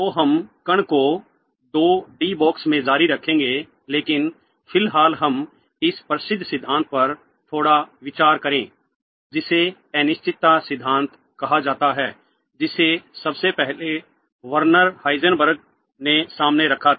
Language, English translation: Hindi, So, we shall continue the particle in a 2D box but for the moment let us consider a little bit on this famous principle called the uncertainty principle which was first put forward by Werner Heisenberg